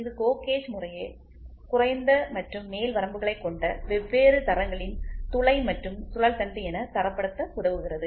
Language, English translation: Tamil, This helps in standardization of GO gauge as hole and shaft of different grades which have the same lower and upper limits respectively